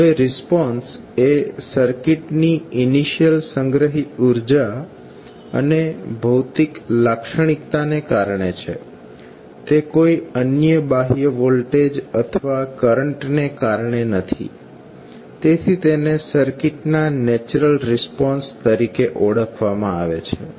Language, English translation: Gujarati, Now, since, the response is due to the initial energy stored and physical characteristic of the circuit so, this will not be due to any other external voltage or currents source this is simply, termed as natural response of the circuit